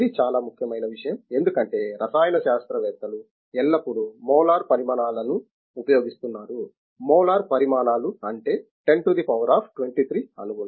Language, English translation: Telugu, This is a very, very important thing because chemists are always using the molar quantities, molar quantities means 10 to the of 23 molecules